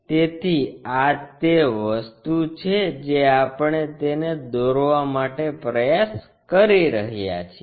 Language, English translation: Gujarati, So, that is the thing what we are trying to construct it